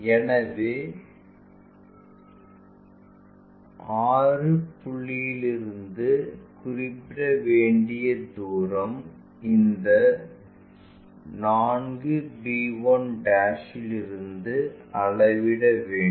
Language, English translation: Tamil, So, this distance from 6 point whatever the location we are going to identify that from 4 b 1'